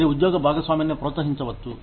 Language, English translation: Telugu, You could, encourage job sharing